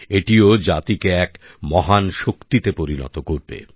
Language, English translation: Bengali, This too will emerge as a major force for the nation